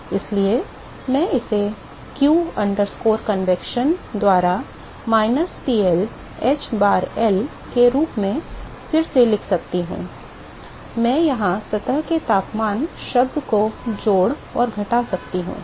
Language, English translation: Hindi, So, I can rewrite this as minus PL h bar L by q convection I can add and subtract a surface temperature term here